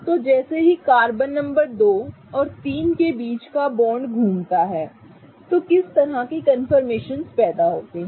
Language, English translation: Hindi, So, carbon number 2 and 3 as they rotate the bond between them, what kind of confirmations arise